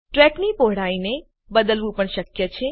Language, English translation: Gujarati, It is also possible to change the track width